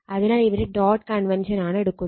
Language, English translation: Malayalam, So, here dot convention is taken right